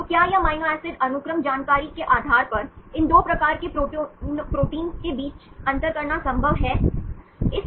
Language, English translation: Hindi, So, whether it is possible to distinguish between these 2 types of proteins based on the amino acid sequence information